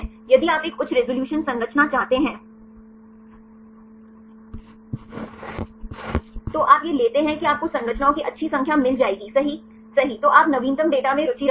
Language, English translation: Hindi, If you want a higher resolution structures, you take these right you will get the good number of structures, then you are interested in latest data